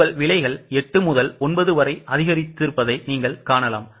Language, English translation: Tamil, You can see here the price has increased from 8 to 9